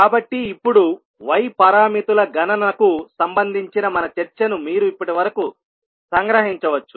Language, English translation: Telugu, So now, you can summarize our discussion till now related to the calculation of y parameters, so you can summarize our discussion in these two figures